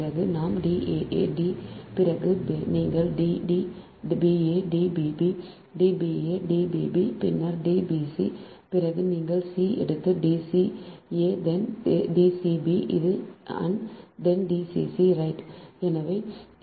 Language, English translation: Tamil, then you take b, d b, a, d b, b, d b a, d b, b, then d b c, then you take c, then d c a, then d c b and then d c c, right